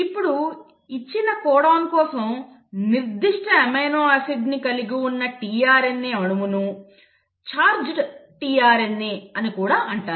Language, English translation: Telugu, Now such a tRNA molecule which for a given codon carries that specific amino acid is also called as a charged tRNA